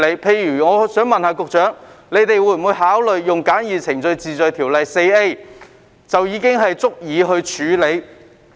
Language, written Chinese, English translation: Cantonese, 例如，我想問局長會否考慮引用《簡易程序治罪條例》第 4A 條，以處理這類車輛？, For example may I ask the Secretary whether he will consider invoking section 4A of the Summary Offences Ordinance to deal with such vehicles?